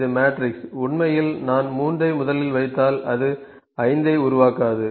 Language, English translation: Tamil, Then also I can have, it is the matrix actually if I put 3 here, it would not make it 5